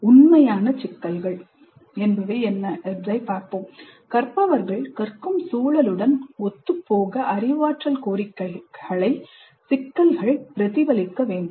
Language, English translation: Tamil, The problems should reflect the cognitive demands that are consistent with the environment for which the learners are being prepared